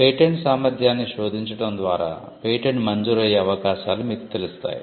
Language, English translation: Telugu, By generating a patentability search, you would know the chances of a patent being granted